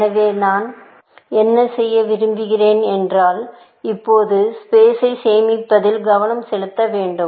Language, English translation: Tamil, So, what I want to do is to, now, focus on saving space